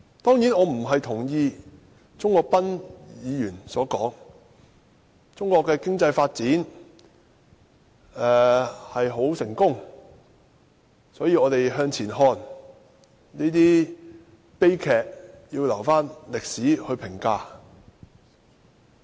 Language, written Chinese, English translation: Cantonese, 當然，我並不認同鍾國斌議員所言：中國的經濟發展很成功，所以我們要向前看，這些悲劇要留待歷史評價。, But of course I do not agree with what Mr CHUNG Kwok - pan said that is that Chinas economic development has achieved great success so we have to look forward and let history be the judge of these tragedies